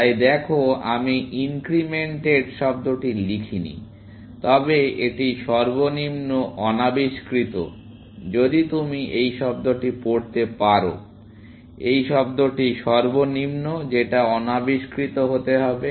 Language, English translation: Bengali, Looking so, I have not written the word incremented, but it is the lowest unexplored, if you can read this word; this word must be unexplored